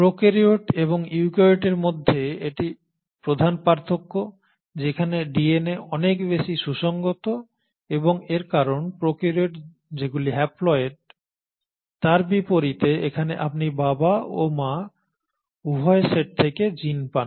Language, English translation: Bengali, So this has been the major difference between the prokaryote and the eukaryote whether DNA is far more compact and the reason it is far more compact is because unlike the prokaryotes which are haploid here you are getting genes from both set of parents, the father as well as the mother